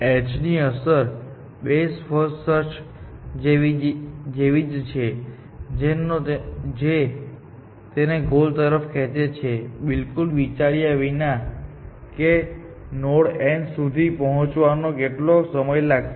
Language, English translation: Gujarati, The effect of h is like, best for search to pull it towards a goal, without any regard to what was the time spent in reaching that node n